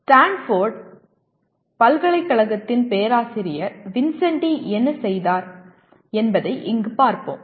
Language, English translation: Tamil, Here we will go with what professor Vincenti of Stanford University has done